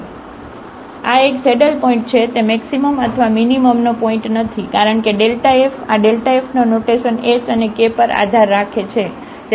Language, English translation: Gujarati, So, this is a saddle point, it is not a point of maximum or minimum because this delta f, the sign of this delta f depends on h and k